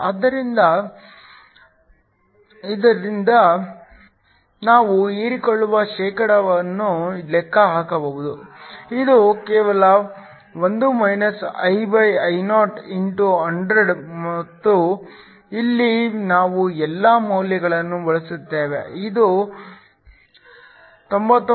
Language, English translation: Kannada, So, from this we can calculate the percentage absorbed, which is just 1 IIo*100 and here we substitute all the values, this works out to be 99